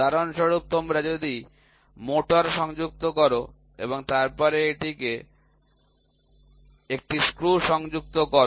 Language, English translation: Bengali, For example, if you attach a motor, right and then you attach a screw to it